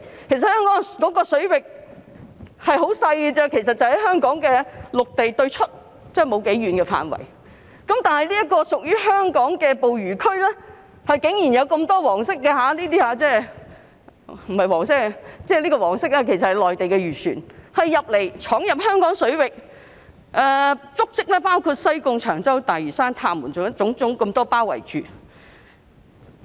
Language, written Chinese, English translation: Cantonese, 其實香港水域範圍甚為細小，只涵蓋香港的陸地對出不多遠的範圍，但屬於香港的捕魚區竟然有那麼多內地漁船——即黃色標記的這些——闖入，足跡包括西貢、長洲、大嶼山、塔門等。, The Hong Kong waters actually cover only a small area not far from the land of Hong Kong . Yet surprisingly so many Mainland fishing vessels intruded into Hong Kongs fishing grounds―that means these ones marked in yellow―reaching such places as Sai Kung Cheung Chau Lantau Island and Ta Mun